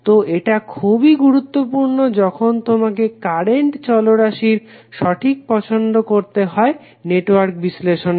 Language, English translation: Bengali, So this is very important when you have to choice the current variables for circuit analysis properly